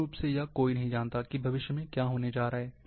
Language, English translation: Hindi, So,nobody knows basically, what is going to be the future